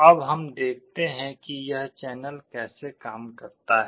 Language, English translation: Hindi, Now, let us see how this channels work